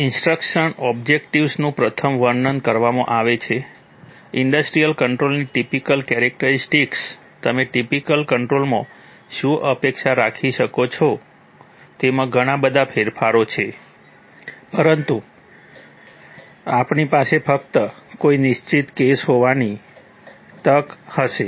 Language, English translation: Gujarati, Instructional objectives are firstly described, typical features of an industrial controller, what you might expect in a typical controller, there are lots of variations, but we will only have the opportunity to look at a particular case